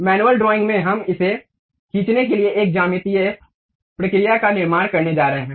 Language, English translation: Hindi, At manual drawing, we are going to construct a geometric procedure to draw that